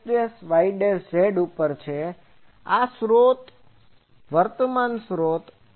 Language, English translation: Gujarati, This is my source, current source